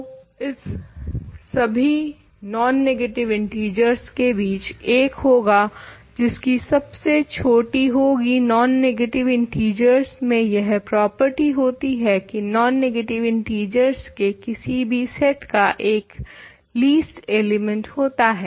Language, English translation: Hindi, So, among all these non negative integers there will be 1 with which is smallest, non negative integers have this property that any set of non negative integers has a least element